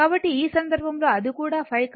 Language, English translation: Telugu, So, in this case it is also phi